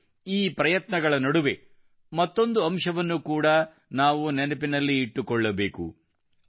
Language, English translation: Kannada, And in the midst of all these efforts, we have one more thing to remember